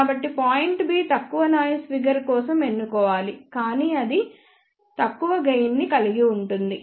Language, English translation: Telugu, So, point B should be chosen for lower noise figure, but that will have a lower gain also